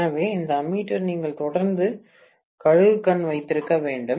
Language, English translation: Tamil, So, this ammeter you have to keep an eagle eye on that continuously